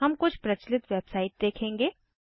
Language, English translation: Hindi, We will see the few popular websites